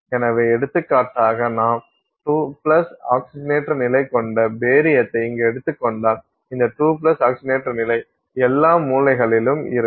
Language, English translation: Tamil, So, for example, if you take barium here which is a 2 plus oxidation state, this 2 plus oxidation state, it sits at all the corners